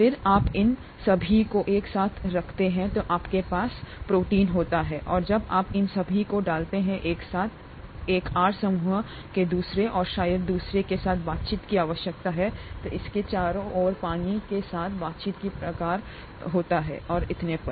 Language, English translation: Hindi, Then when you put all these together you have the protein and when you put all these together, there is a need for interaction of one R group with the other and probably other kinds of interactions with the water around it and so on so forth